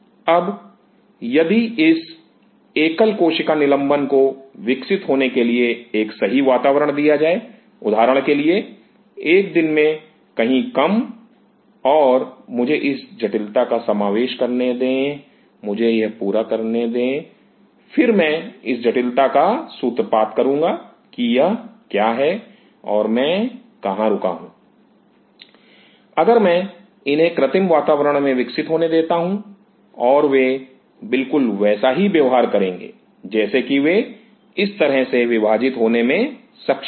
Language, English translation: Hindi, Now, if this single cell suspension is given a right environment to grow; say for example, in a day short somewhere and let me introduce this complexity, let me finish this then I will introduce this complexity what is that and where I stopped, if I allow them to grow on a synthetic environment and they should be able to exactly behave like they should be able to divide like this